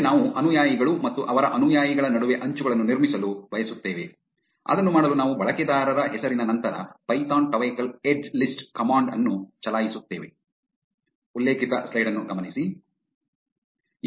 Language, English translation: Kannada, Next, we want to build the edges between the followees and their followees, to do that we will run the command python tweecoll edgelist followed by the user name